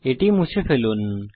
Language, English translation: Bengali, Let us delete this